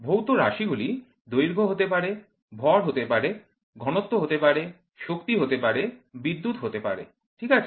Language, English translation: Bengali, The physical variables can be length, can be mass, can be density, can be power, can be current, ok